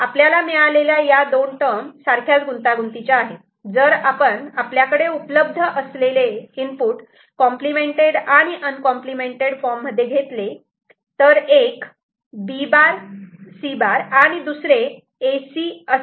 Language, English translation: Marathi, We have got two terms with you know same similar complexity, if we consider that the inputs are available in complement and uncomplemented form, so one is B prime C, another is A C ok